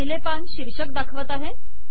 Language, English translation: Marathi, The first page shows the title